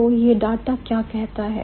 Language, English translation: Hindi, So, what does this data set say us